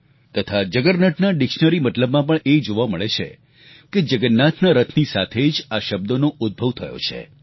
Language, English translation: Gujarati, In the dictionary, the etymology of the word 'juggernaut' traces its roots to the chariot of Lord Jagannath